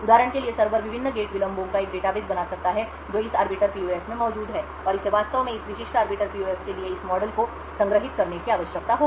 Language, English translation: Hindi, For example, the server could build a database of the various gate delays that are present in this arbiter PUF and it would actually required to store this model for this specific arbiter PUF